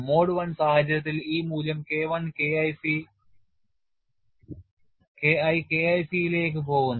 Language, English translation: Malayalam, And in a mode one situation this value should go to the K1 should go to K1 c